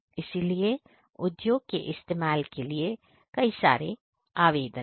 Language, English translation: Hindi, And so it has lot of applications for industrial uses